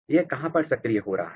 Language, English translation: Hindi, Where it is activating